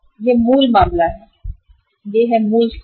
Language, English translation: Hindi, This is the original case, this is the original situation